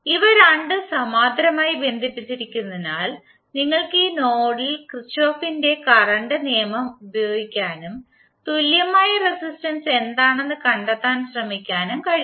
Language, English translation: Malayalam, Since these two are connected in parallel, you can use the Kirchhoff’s current law at this node and try to find out what is the equivalent resistance